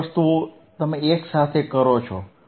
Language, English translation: Gujarati, All three things you do simultaneously